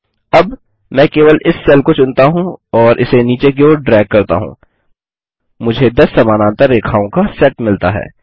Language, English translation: Hindi, Now I can just select this cell and drag it all the way down, I get a set of 10 parallel lines